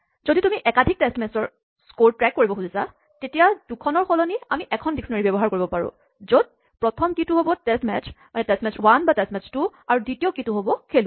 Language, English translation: Assamese, If you want to keep track of scores across multiple test matches, instead of having two dictionaries is we can have one dictionary where the first key is the test match test 1 or test 2, and the second key is a player